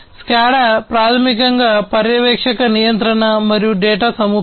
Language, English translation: Telugu, SCADA basically stands for Supervisory Control and Data Acquisition